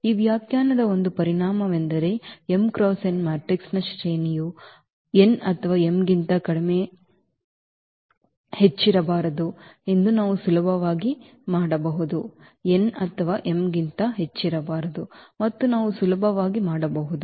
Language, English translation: Kannada, Just a consequence of this definition we can easily make it out that the rank of an m cross n matrix cannot be greater than n or m